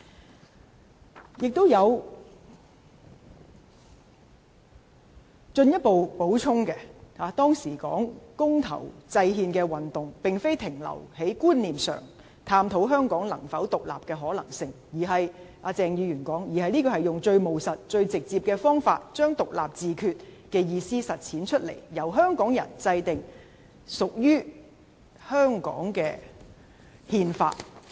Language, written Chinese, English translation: Cantonese, "此外，他還有進一步補充，指出當時的公投制憲運動，並非停留在觀念上探討香港能否獨立的可能性——據鄭議員指——而是以最務實、最直接的方法，將獨立自決的意思實踐出來，由香港人制定屬於香港的憲法。, Moreover he further added that the campaign for devising the constitution by referendum at the time did not remain at conceptual discussion about the possibility of Hong Kong independence―according to Dr CHENG―but put into action the meanings of independence and self - determination in the most pragmatic and direct manner so that Hong Kong people would devise a constitution that would belong to Hong Kong